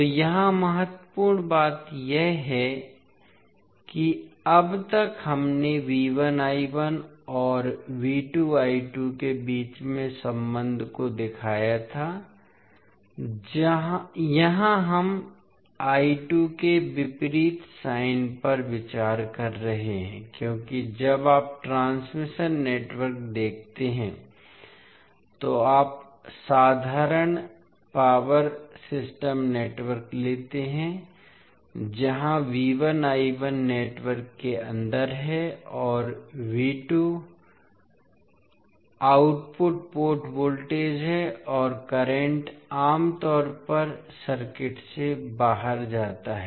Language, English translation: Hindi, So here the important thing is that till now we shown the relationship between V 1 I 1 and V 2 I 2, here we are considering the opposite sign of I 2 because when you see the transmission network you take the simple power system network where the V 1 I 1 is inside the network and V 2 is the output port voltage and current generally goes out of the circuit